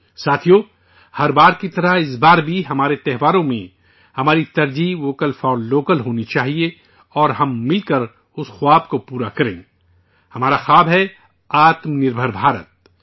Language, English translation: Urdu, Friends, like every time, this time too, in our festivals, our priority should be 'Vocal for Local' and let us together fulfill that dream; our dream is 'Aatmnirbhar Bharat'